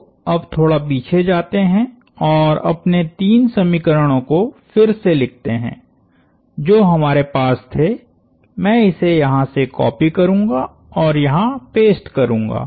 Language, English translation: Hindi, So, now, let us go back, and rewrite our three equations that we had I will copy this from here and paste it here